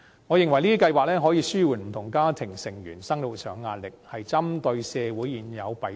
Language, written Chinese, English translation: Cantonese, 我認為，這些計劃可以紓緩不同家庭成員的生活壓力，針對社會現有的弊病。, I think these schemes will alleviate the pressure faced by different family members in their lives and address the existing social ills